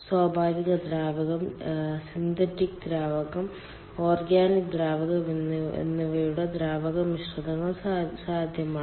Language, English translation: Malayalam, there could be natural fluid, there could be synthetic fluid in organic fluid, organic fluid and even fluid mixtures are possible